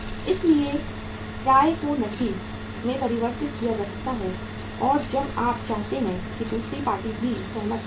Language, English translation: Hindi, So the receivables can be converted into cash as and when we want it if the other party also agrees